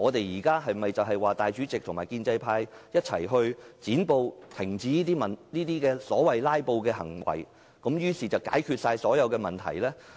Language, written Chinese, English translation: Cantonese, 是否主席和建制派一起"剪布"，停止所謂"拉布"行為，便可解決所有問題？, Can the President solve all the problems by joining hands with the pro - establishment camp to cut off the so - called filibuster?